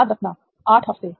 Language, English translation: Hindi, Remember 8 weeks